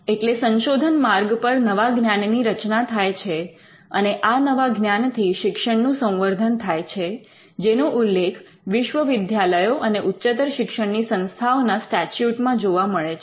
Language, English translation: Gujarati, So, the research path could create new knowledge and this new knowledge is what we can tie to the advancement of learning path that we normally find in statutes establishing universities and educational institutions